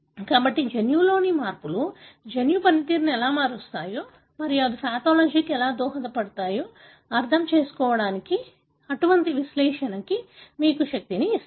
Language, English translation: Telugu, So, that is how such kind of analysis gives you a power in deciphering how changes in the genome can alter the way the gene function and how they may contribute to the pathology